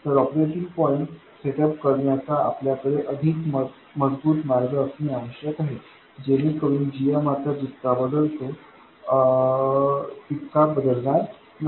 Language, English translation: Marathi, So we need to have a more robust way of setting up the operating point so that the GM doesn't vary as much as it does not